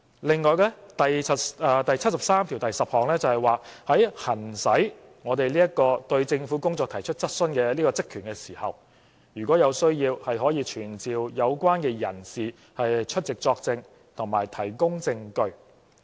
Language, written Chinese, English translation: Cantonese, 另外，《基本法》第七十三條第十項訂明，在我們行使對政府工作提出質詢的職權時，如有需要，可傳召有關人士出席作證和提供證據。, In addition Article 7310 of the Basic Law stipulates that when we exercise the power and function in raising questions on the work of the government we can summon persons concerned to testify or give evidence as required